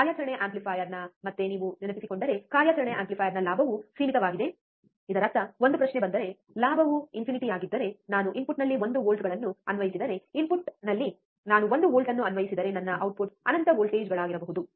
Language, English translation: Kannada, What is the again of the operational amplifier, what was that if you remember, the gain of an operational amplifier was in finite; that means, that if then a question comes that, if the gain is infinite, if the gain is infinite then if I apply 1 volts at the input, if I apply one volt at the input, then my output should be infinite voltages, right isn't it